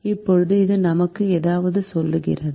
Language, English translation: Tamil, now this tells us something